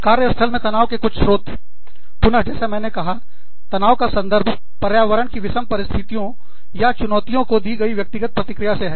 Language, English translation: Hindi, Some sources of workplace stress, are again, like i told you, stress also refers to, the individual's response, to challenging or difficult situations, in their environment